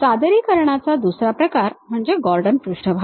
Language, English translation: Marathi, The other kind of representation is by Gordon surfaces